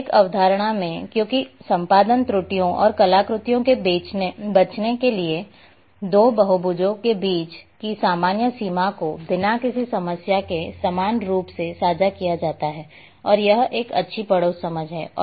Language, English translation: Hindi, So,In topological concept, because in order to avoid editing errors and artifacts the common boundary between two polygons is shared equally without any problem and that’s a good neighbourhood understanding